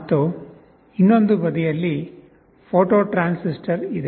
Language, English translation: Kannada, And on the other side, there is a photo transistor